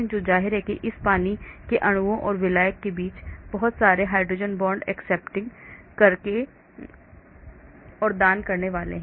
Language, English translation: Hindi, so obviously there is going to be lot of hydrogen bond accepting and donor happening between all these water molecules and solvent